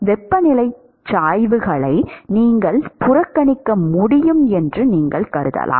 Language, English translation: Tamil, All you can assume is that you can neglect the temperature gradients